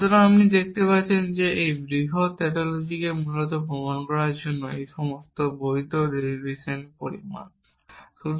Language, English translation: Bengali, So, you can see that all valid derivation amount to proving this large tautology essentially